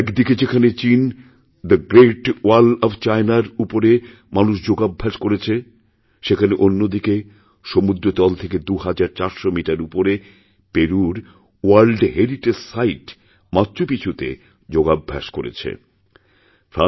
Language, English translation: Bengali, In China, Yoga was practiced on the Great Wall of China, and on the World Heritage site of Machu Picchu in Peru, at 2400 metres above sea level